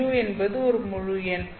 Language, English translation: Tamil, New is an integer